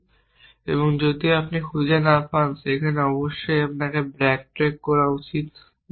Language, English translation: Bengali, And if you cannot find there is must backtrack that is the standard